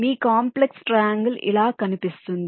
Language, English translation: Telugu, so this complex triangular is